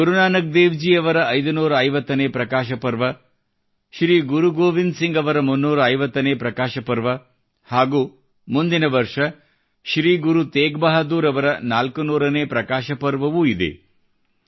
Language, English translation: Kannada, 550th Prakash Parva of Guru Nanak Dev ji, 350th Prakash Parv of Shri Guru Govind Singh ji, next year we will have 400th Prakash Parv of Shri Guru Teg Bahadur ji too